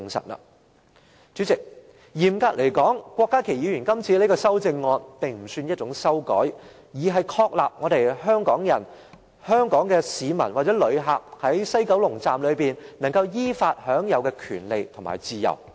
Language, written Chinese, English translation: Cantonese, 代理主席，嚴格而言，郭家麒議員的修正案並不算是一項修改，而是確立香港市民或旅客在西九龍站依法享有的權利和自由。, Deputy Chairman strictly speaking Dr KWOK Ka - kis amendment should not be regarded as an amendment . Rather it affirms the rights and freedom to which the people of Hong Kong or visitors should enjoy in WKS in accordance with the law